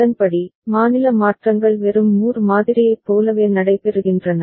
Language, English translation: Tamil, And accordingly, the state changes are taking place similar to just Moore model right